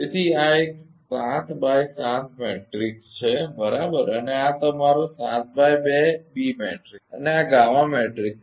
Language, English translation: Gujarati, So, this is a 7 into 7 matrix right and this is your 7 into 2 b matrix and this is gamma matrix